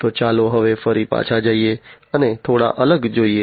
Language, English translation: Gujarati, So, let us now again go back and look little further